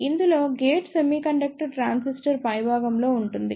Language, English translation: Telugu, In this, the gate is on the top of the semiconductor transistor